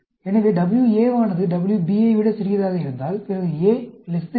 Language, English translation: Tamil, And, if WA is big than WB, then, alternate will be A greater than B